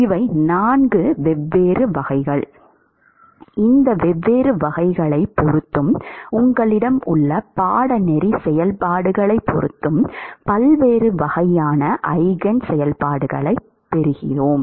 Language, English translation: Tamil, These are the 4 distinct types, depending upon the coursing function that you have you get different types of Eigen functions